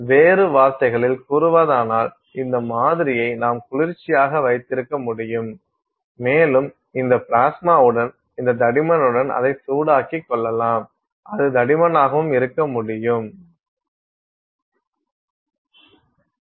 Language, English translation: Tamil, In other words, to the extent that you can keep cooling this sample and you can keep heating it with this thick with this plasma, you can make thicker and thicker layers